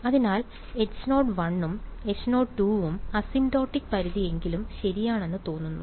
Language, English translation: Malayalam, So, both H 0 1 and H 0 2 seem to satisfy at least the asymptotic limit ok